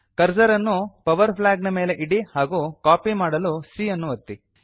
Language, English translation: Kannada, Keep the cursor on the power flag and then press c to copy it